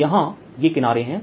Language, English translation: Hindi, now there have this edges out here